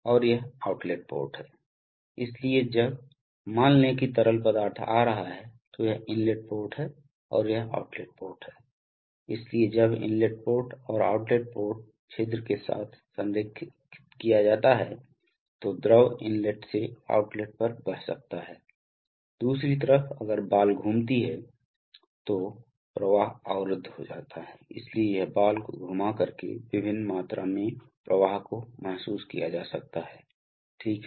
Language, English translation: Hindi, And this is the outlet port, so when the, suppose the fluid is coming like this is the inlet port and this is the outlet port, so when the hole is aligned with the inlet port and outlet port holes then the fluid can flow from Inlet to outlet, on the other hand if the ball rotates then the flow is blocked, so it is by rotating the ball that various amounts of flows can be realized, right